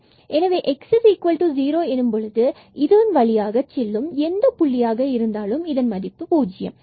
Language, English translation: Tamil, So, when x is 0 fx at whatever point along this x is equal to 0, for whatever y this will be 0